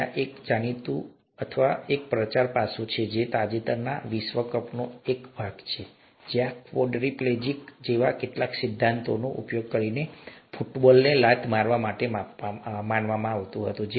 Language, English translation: Gujarati, There was a, a well known, or there was a publicity aspect that was also a part of the recent world cup, where a quadriplegic was supposed to kick the football using some such principles